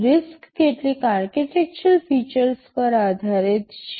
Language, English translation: Gujarati, RISC is based on some architectural features